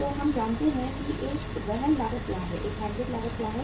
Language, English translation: Hindi, So we know what is a carrying cost what is a handling cost